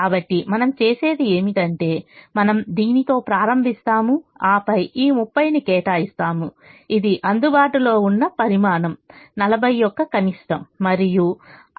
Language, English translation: Telugu, so what we do is we start with this and then we allocate this thirty, which is the minimum of the available quantity forty and the required quantity thirty